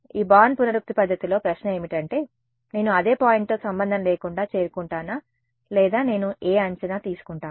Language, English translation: Telugu, In this born iterative method the question is will I arrive at the same point regardless or what guess I take